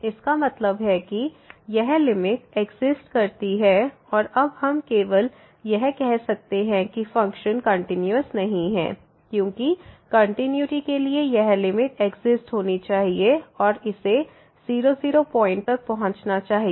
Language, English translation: Hindi, So; that means, this limit does not exist and now we can just say that the function is not continuous because for continuity this limit should exist and should approach to the derivative at 0 0 point